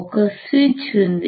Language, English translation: Telugu, there is a switch